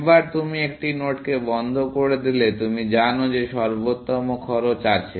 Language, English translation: Bengali, Once you put a node into closed, you know that you have the optimal cost, essentially